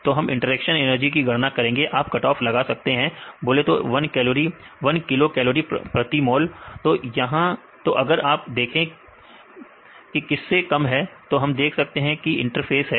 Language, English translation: Hindi, So, we calculate interaction energy based on interaction energy you can make a cut off say a one kilo cal per mole then if you see it less than that we can see this is in the interface